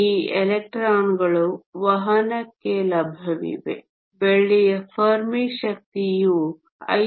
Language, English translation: Kannada, These electrons are available for conduction, the Fermi energy of silver is 5